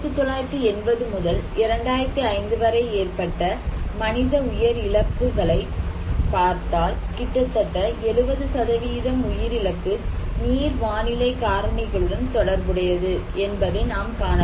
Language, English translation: Tamil, Also, when we are looking into the loss of human life from 1980 to 2005, we can see that nearly 70% of loss of life are related to hydro meteorological factors